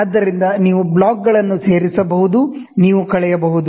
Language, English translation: Kannada, So, you can add blocks, you can subtract